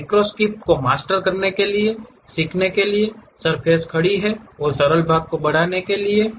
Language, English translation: Hindi, The learning curve to master macro scripts is steep and moving beyond simple parts